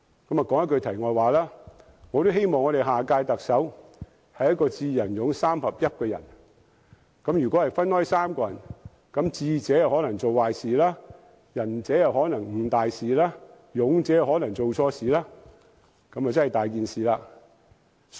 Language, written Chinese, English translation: Cantonese, 說一句題外話，我希望下任特首是一個"智、仁、勇"三合一的人，如果分開3個人，智者可能做壞事，仁者可能誤大事，勇者可能做錯事，這樣便真的"大件事"！, On that note let me side track a bit . I hope the next Chief Executive can be a person with all three virtues that is being wise benevolent and courageous . If these virtues are found in three different persons a person with wisdom may be cunning a person with benevolence may be procrastinating and a person with courage may be erring